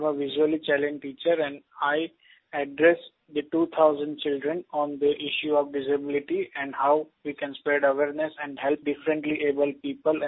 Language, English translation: Hindi, I am a visually challenged teacher and I addressed 2000 children on the issue of disability and how we can spread awareness and help differentlyabled people